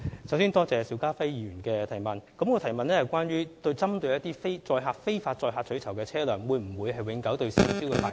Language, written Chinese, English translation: Cantonese, 首先多謝邵家輝議員的提問，他的補充質詢是問那些非法載客取酬的車輛會否被永久吊銷車輛牌照。, First of all I thank Mr SHIU Ka - fai for his question . His supplementary question is about whether the licence of a car used for illegal carriage of passengers for reward will be permanently revoked